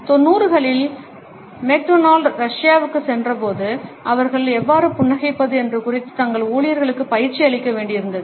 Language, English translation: Tamil, When McDonald’s went to Russia in the nineties, they had to coach their employees on how to smile